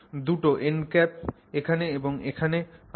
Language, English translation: Bengali, So, those two end caps come here and here